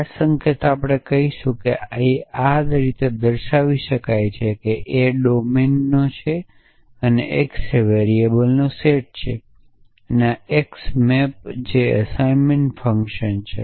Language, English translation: Gujarati, So, this notation we will use to say that this is x A belongs to domine and x belongs to the set of variables and this x maps that is the assignment function which is doing for us